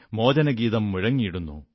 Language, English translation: Malayalam, The freedom song resonates